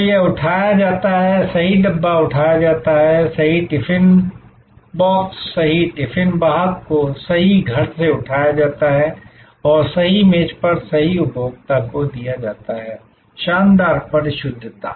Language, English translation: Hindi, So, it is picked up the right dabba is picked up, right tiffin box, right tiffin carrier is picked up from the right home and delivered to the right consumer at the right office at the right table, fantastic precision